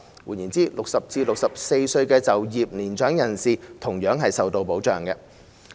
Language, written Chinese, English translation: Cantonese, 換言之 ，60 歲至64歲的年長就業人士同樣受到保障。, In other words mature persons aged between 60 and 64 who are in employment are also afforded protection